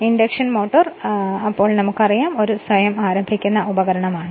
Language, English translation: Malayalam, The induction motor is therefore, a self starting device right